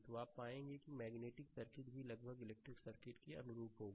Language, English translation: Hindi, So, you will find magnetic circuit also will be analogous to almost electrical circuit, right